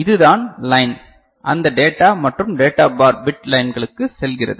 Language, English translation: Tamil, And this is the line that is going to those data and data bar, bit lines right